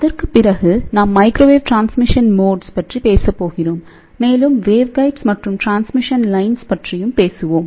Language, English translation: Tamil, After that; we are going to talk about microwave transmission modes and we will talk about a waveguides and transmission lines